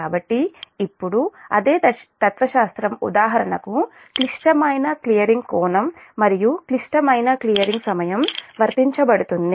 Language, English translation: Telugu, so now same philosophy will be applied, for example the critical clearing angle and critical clearing time